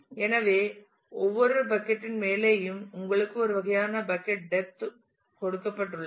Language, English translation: Tamil, So, and on on top of every bucket you have a kind of bucket depth given